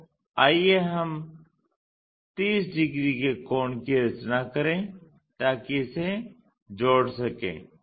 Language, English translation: Hindi, So, let us construct the angle 30 degrees thing so join this